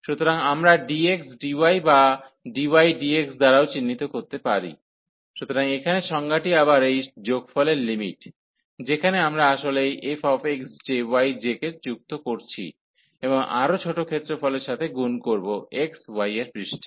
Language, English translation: Bengali, So, we can also denote by dx, dy or dy, dx, so that is the definition here again its the limit of this sum, which where we are adding actually this f x j, y j and multiplied by the area of the smaller region in the x, y plane